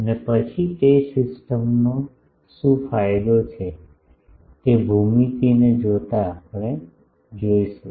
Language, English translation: Gujarati, And then what is the gain of that system given the geometry that we will see